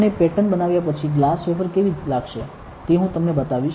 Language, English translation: Gujarati, And I will show you after patterning how the glass wafer will look like